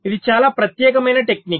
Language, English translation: Telugu, this is miscellaneous technique